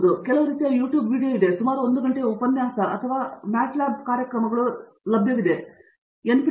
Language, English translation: Kannada, So that, there could be like some sort of YouTube video, lecture of about an hour with lots of equations or like let’s say mat lab programs and so on